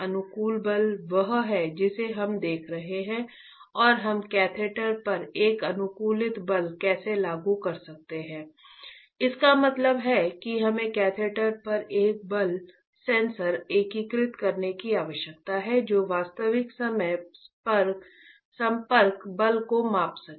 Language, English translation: Hindi, Optimize force is what we are looking at right and how we can apply an optimized force to the catheter, that means we need to have a force sensor integrated on to the catheter that can measure the real time contact force